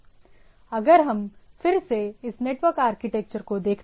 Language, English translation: Hindi, So, if we look at the network architecture to revisit the thing